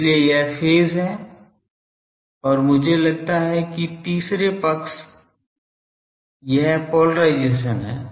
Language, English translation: Hindi, So, that is phase and I think that third parties now sorry this is polarisation